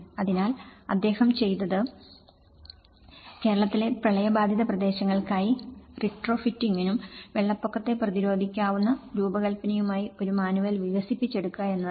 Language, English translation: Malayalam, So, what he did was he developed a manual for retrofitting and flood resilient design for flood affected areas in Kerala